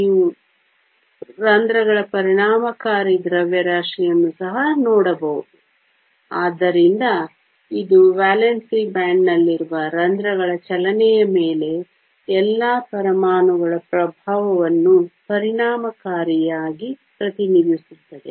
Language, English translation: Kannada, You can also look at the effective mass of the holes, so this represents the effective the influence of all the atoms on the movement of the holes in the valence band